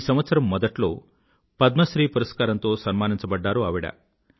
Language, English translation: Telugu, In the beginning of this year, she was honoured with a Padma Shri